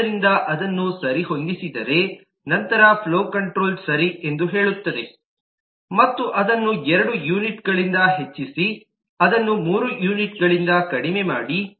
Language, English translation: Kannada, so say: if it is adjusted, then possibly the flow controller will simply say: okay, adjust, increase it by two units, decrease it by three units, something like that